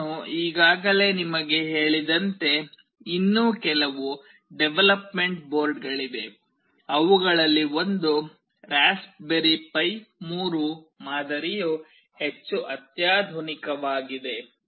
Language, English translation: Kannada, As I have already told you there are some other development boards as well, one of which is Raspberry Pi 3 model that is much more sophisticated